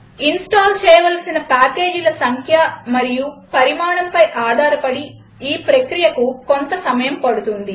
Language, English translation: Telugu, The process of installation takes some time depending on the number and size of the packages to be installed